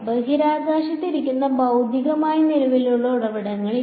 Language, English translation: Malayalam, There are not physically current sources sitting in space